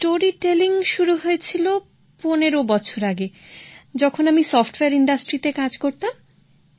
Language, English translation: Bengali, Storytelling began 15 years ago when I was working in the software industry